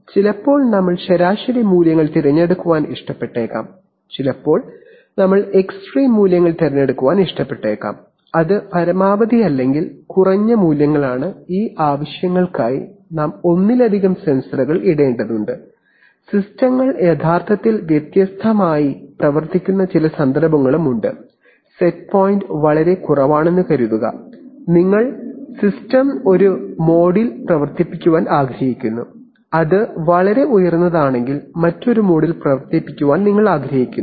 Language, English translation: Malayalam, So sometimes we may we may like to choose average values, sometimes we may like to choose extremer values, that is maximal or minimal values and for these purposes we need to put multiple sensors, there are also some cases where systems are actually operated in different modes that is when it is in suppose the set point is very low then you want to operate the system in one mode, if it is very high you want to operate it in another mode